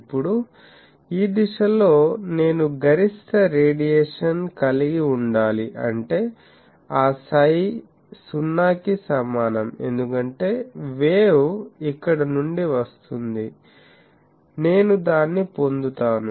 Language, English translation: Telugu, Now, I want that in this direction, I should have maximum radiation, in this direction; that means, that psi is equal to 0, because wave will come from here, I will get it